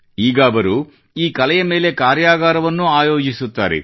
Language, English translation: Kannada, And now, she even conducts workshops on this art form